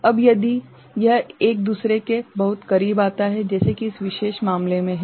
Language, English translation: Hindi, Now, if it comes very close to one another like this particular case right